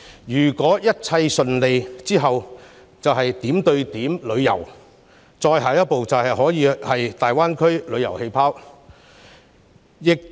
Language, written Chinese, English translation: Cantonese, 如果一切順利推行，下一階段便是點對點旅遊，最後便是大灣區旅遊氣泡。, If everything goes smoothly the next phase will be point - to - point tourism to be followed by the last phase of tourism bubbles in the Greater Bay Area